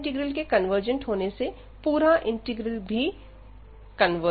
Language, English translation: Hindi, So, hence the given integral this also converges